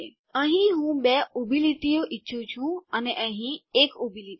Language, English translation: Gujarati, Here I want two vertical lines, here I want 1 vertical line